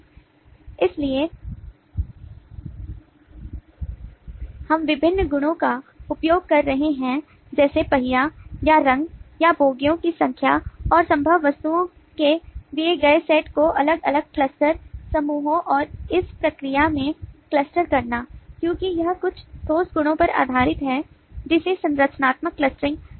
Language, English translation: Hindi, so we are using different properties like colour of the wheel or the number of bogies, and to cluster the given set of possible objects into different cluster groups, and this process, since it is based on certain concrete properties, is known as structural clustering